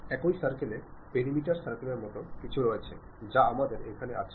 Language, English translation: Bengali, In the same circle, there is something like perimeter circle we have